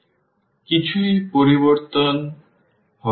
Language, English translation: Bengali, So, nothing will change